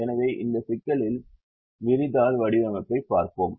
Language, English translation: Tamil, let's look at this spread sheet formulation of this problem